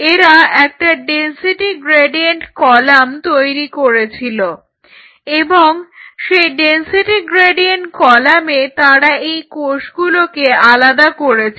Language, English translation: Bengali, On a density gradient column, you separate out these cells